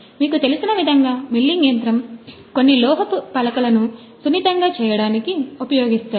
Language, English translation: Telugu, Milling machine as you know are used for smoothing of some metal sheets